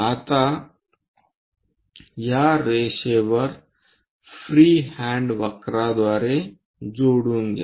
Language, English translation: Marathi, Now join these lines by a free hand curve